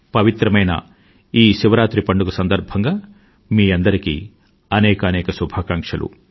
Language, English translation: Telugu, I extend felicitations on this pious occasion of Mahashivratri to you all